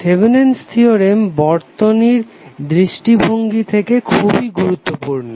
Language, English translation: Bengali, These Thevenin’s theorem is very important for the circuit point of view